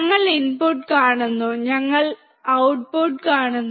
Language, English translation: Malayalam, We see input; we see output